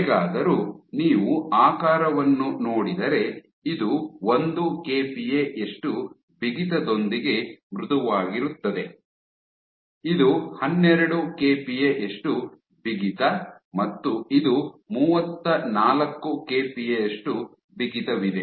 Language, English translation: Kannada, However, if you look at the shape, so this is soft 1 kPa stiffness, this is 12 kPa stiffness and this is 34 kPa stiffness